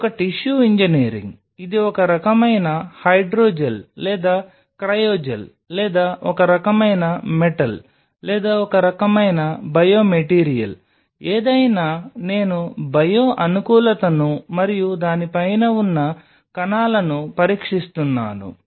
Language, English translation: Telugu, So, it is a tissue engineering it is some kind of hydro gel or a cryogel or some kind of metal or some kind of a biomaterial something I am testing the bio compatibility and the cells around top of it right